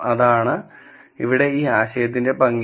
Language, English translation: Malayalam, That is the beauty of this idea here